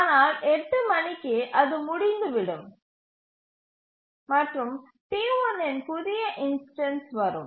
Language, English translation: Tamil, But at 8 it has completed and the new instance of T1 will arrive